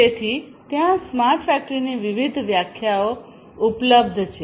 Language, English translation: Gujarati, So, there are different different definitions of smart factory that is available